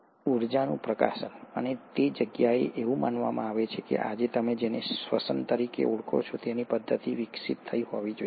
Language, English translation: Gujarati, The release of energy, and that is where it is postulated that the mechanism of what you call today as respiration must have evolved